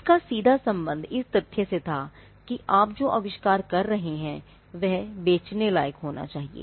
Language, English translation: Hindi, Now, this had a direct connect with the fact that what you are inventing should be sellable